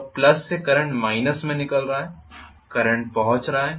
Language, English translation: Hindi, So from plus the current is emanating in the minus the current is reaching